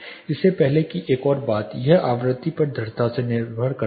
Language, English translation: Hindi, Before that one more thing it depends strongly on the frequency